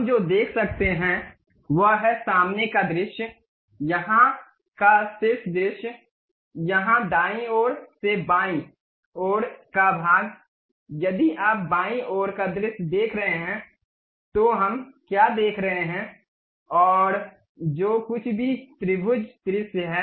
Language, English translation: Hindi, What we can see is something like front view here, top view here, from left side from right side to left side if you are seeing left side view what we are seeing there, and whatever the trimetric view